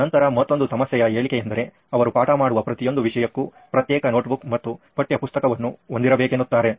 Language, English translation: Kannada, Then another problem statement would be the number of subjects they’ll have to operate with as in each subject would have individual notebook and textbook for that thing